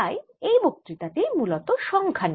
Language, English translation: Bengali, so this lecture essentially about numbers